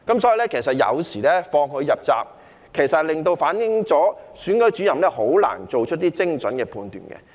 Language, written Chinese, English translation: Cantonese, 所以，當時放他入閘，其實亦反映了選舉主任很難做出精準的判斷。, Therefore when he was allowed to enter the race back then it actually reflected the fact that it was very difficult for Returning Officers to make accurate judgments